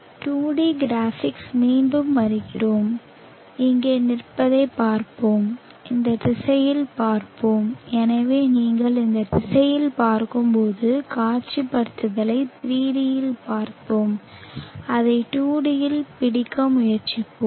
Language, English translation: Tamil, Coming back to the 2D graphics, let us view standing here, let us view in this direction so when you view in this direction we saw the visualization in 3D and let us try to capture it in 2D